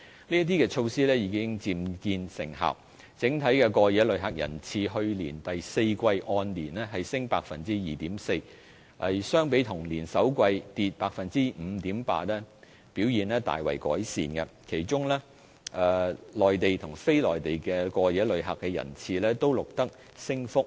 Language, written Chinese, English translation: Cantonese, 這些措施已漸見成效，整體過夜旅客人次去年第四季按年升 2.4%， 相比同年首季跌 5.8%， 表現大為改善；其中內地及非內地過夜旅客的人次均錄得升幅。, These measures are starting to pay off . As compared to a drop of 5.8 % in the first quarter of last year the number of overall overnight visitors recorded an increase of 2.4 % in the fourth quarter which is a significant improvement and the numbers of Mainland and non - Mainland overnight visitors also recorded an increase